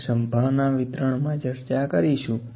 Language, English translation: Gujarati, We will discuss about the probability distributions